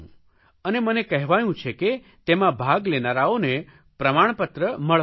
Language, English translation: Gujarati, I have been told that the participants will all receive a certificate